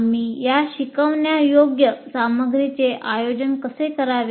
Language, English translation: Marathi, And now how do we organize this instructional material